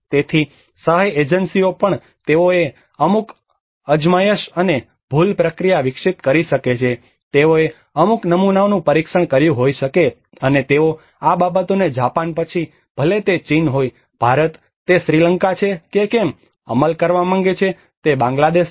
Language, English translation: Gujarati, So even the aid agencies they might have develop certain trial and error process they might have tested certain models, and they want to implement these things whether it is Japan, whether it is China, whether it is India, whether it is Sri Lanka, whether it is Bangladesh